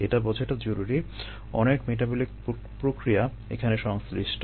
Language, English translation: Bengali, what one needs to understand is that very many metabolic processes contribute the above